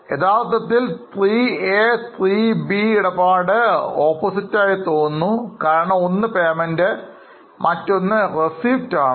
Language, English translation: Malayalam, Actually, transaction 3A and 3B appears to be opposite because 3A is a payment, 3B is a receipt